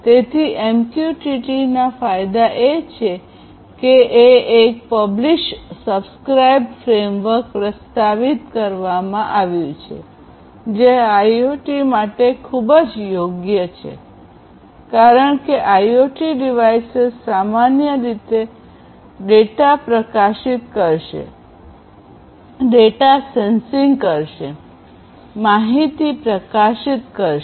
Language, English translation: Gujarati, So, the advantages of MQTT is that a Publish/Subscribe framework has been proposed which is very suitable for IoT, because IoT devices typically would be publishing data, sensing data, publishing the data